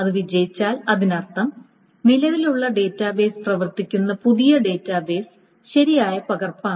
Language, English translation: Malayalam, If it succeeds, that means the new database, the current database that it is working upon is the correct copy